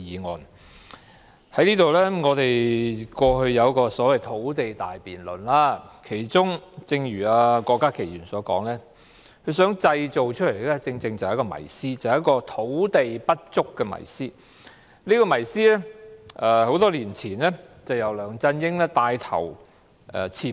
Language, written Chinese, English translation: Cantonese, 我們過去曾就土地問題進行一項所謂的土地大辯論，而正如郭家麒議員所說，目的是想製造一個"土地不足"的迷思，而這個迷思多年前已被梁振英帶頭刺破。, There has been a so - called big debate conducted on the land issue the purpose of which is as Dr KWOK Ka - ki has said to create a myth that we are short of land though LEUNG Chun - ying already took the lead to break this very myth many years ago